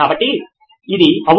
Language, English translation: Telugu, So I think yeah